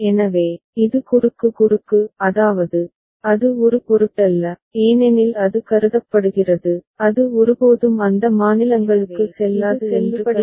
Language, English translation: Tamil, So, this is cross cross; that means, it does not matter because it is supposed, it is considered that it will never go to those states